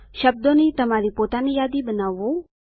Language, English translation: Gujarati, Create your own list of words